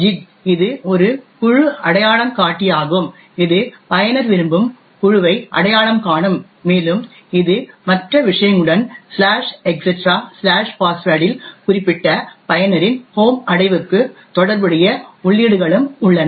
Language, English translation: Tamil, gid which is a group identifier which identifies the group in which the user wants to and it also along with other things the /etc/password also has entries corresponding to the home directory of that particular user and so on